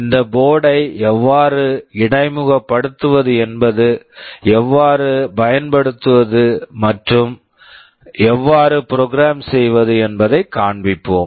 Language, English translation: Tamil, There we shall show how to interface, how to use, and how to program this board